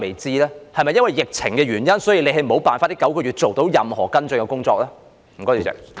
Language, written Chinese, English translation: Cantonese, 是否因為疫情的關係，所以你沒有辦法在這9個月做到任何跟進的工作呢？, Is it owing to the pandemic that in these nine months you are unable to take any follow - up actions?